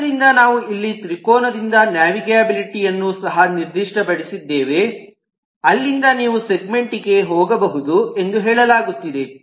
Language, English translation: Kannada, we have also specified the navigability, that from the triangle you can go to the segment